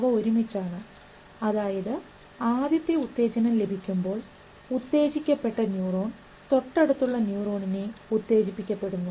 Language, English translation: Malayalam, That means the first stimulus, first time a stimulus goes, this is activated and the neuron in the neighborhood is also activated